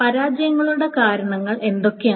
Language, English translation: Malayalam, So, what are the causes of failure